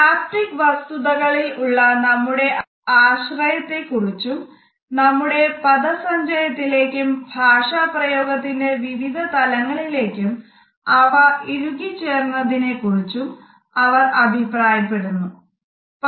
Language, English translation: Malayalam, She has also commented on the reliance on haptic reality which has seeped into our vocabulary and in different aspects of our linguistic usages